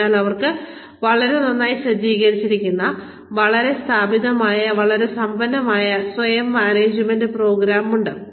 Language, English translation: Malayalam, So, they have a very very, well set, well established, very rich, self management program